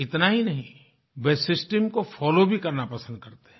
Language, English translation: Hindi, Not just that, they prefer to follow the system